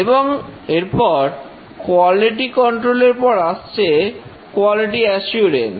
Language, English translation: Bengali, And after quality control, the next breakthrough was quality assurance